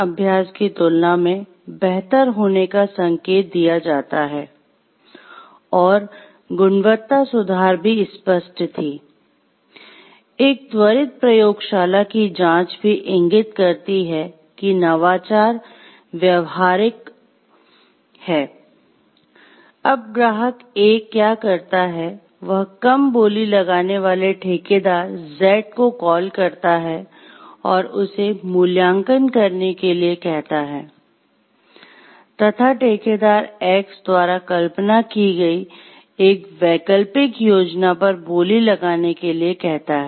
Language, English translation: Hindi, Now, what client A does then is, he calls on contractor Z; the lower low bidder and ask him to evaluate and bid on an alternate schemes conceived by contractor X